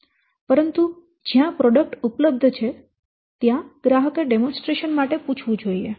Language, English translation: Gujarati, But where there is an existing product, you should go for demonstration